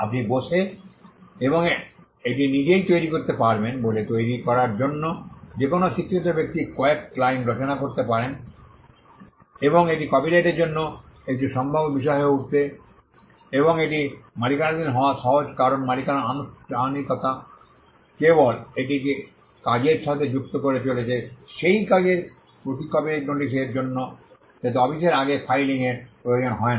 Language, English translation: Bengali, To create because you can sit and create it on your own, any literate person can compose a few lines and it becomes a potential subject matter for copyright and it is easy to own because the formality of owning is just adding this to the work adding a copyright notice to the work which again does not require filing before up a office like what we saw in the case of patterns or even in the case of trademarks